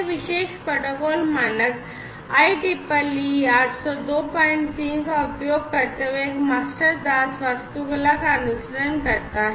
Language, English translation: Hindi, So, this particular protocol follows a master slave architecture utilizing the standard IEEE 802